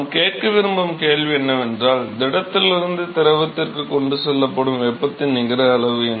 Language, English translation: Tamil, So, the question we want to ask is what is the net amount of heat that is transported from the solid to the fluid